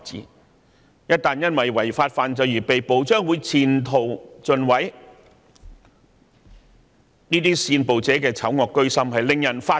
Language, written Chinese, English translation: Cantonese, 他們一旦因為違法犯罪而被捕，將會前途盡毀，這些煽暴者的醜惡居心實在令人髮指。, Offenders will have their futures ruined when one day they are arrested for breaking the law . The evil minds of these violence instigators are outrageous